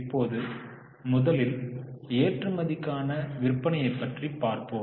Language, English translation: Tamil, Now first one is exports to sales